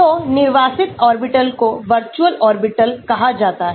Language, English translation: Hindi, So, unoccupied orbitals are called virtual orbitals